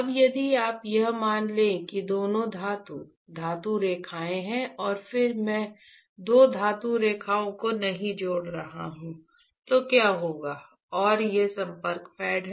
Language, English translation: Hindi, Now, if you assume that, this two are metal, metal lines and if I am not connecting two metal lines, what will and these are the contact pads alright